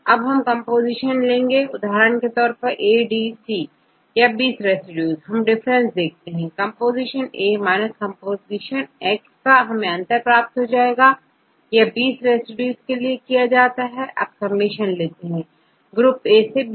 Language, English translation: Hindi, Now, we take compare each composition for example, A, D, C or 20 residues get the differences, comp comp respectively, we get the difference, take the absolute and repeat for 20 times 20 residues, then get the summation, i equal 1 to 20